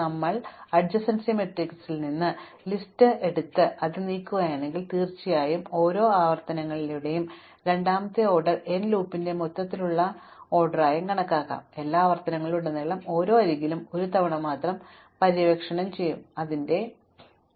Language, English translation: Malayalam, So, if we move from adjacency matrix, from adjacency list representation, certainly the second order n loop within each iterations can be now counted as an overall order n cost because across all the iterations, we would explore every edge only once because we explore when we burn its source vertex, right